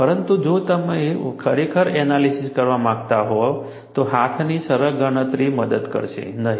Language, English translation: Gujarati, But if you really want to do an analysis, simple hand calculation would not help